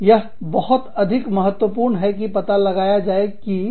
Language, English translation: Hindi, so, it is very important to find out, where things are going wrong